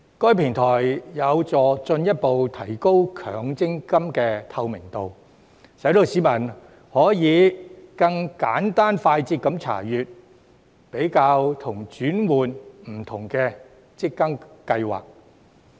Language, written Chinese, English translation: Cantonese, 該平台有助進一步提高強積金的透明度，使市民可以更簡單快捷地查閱、比較及轉換不同的強積金計劃。, The platform will help further increase the transparency of MPF and allow the public to view compare and switch to different MPF schemes more easily and quickly